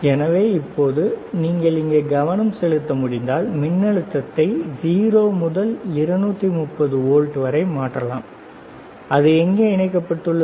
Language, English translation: Tamil, So now, if you can focus here, you see, you can change the voltage from 0 from 0 to 230 volts, it is connected to where